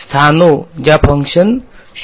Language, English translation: Gujarati, The places where the function goes to 0, right